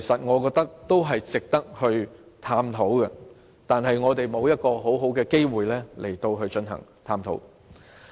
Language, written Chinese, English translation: Cantonese, 我覺得這些方案均值得探討，但是，我們沒有足夠的機會進行探討。, I think these proposals are all worthy of exploration . However we do not have adequate opportunities to explore them